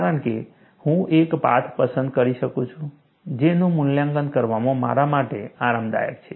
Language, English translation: Gujarati, Because, I can choose the path, which is comfortable for me to evaluate